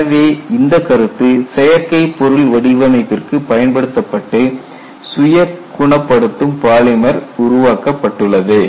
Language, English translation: Tamil, So, this concept has been applied to synthetic material design and a self healing polymer has been developed